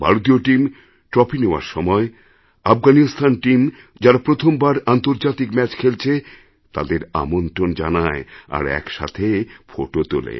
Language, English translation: Bengali, The Indian team, while receiving the trophy, warmly invited the Afghanistan team which had played its first international match to pose together for photographs